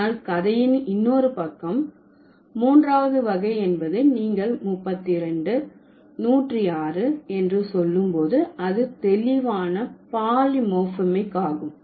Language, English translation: Tamil, So, but the other side of the story is that that the third category when you say 32, 106, so these are clearly polymorphemic, right